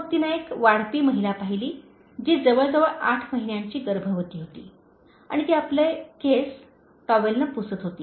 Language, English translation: Marathi, Then she saw a waitress, nearly eight months pregnant, wiping her wet hair with a towel